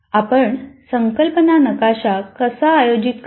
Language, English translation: Marathi, Now how do we organize the concept map